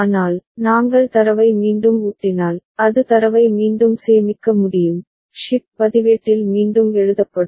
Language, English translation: Tamil, But, if we feed the data back, then it will be the data can be re stored, rewritten in the shift register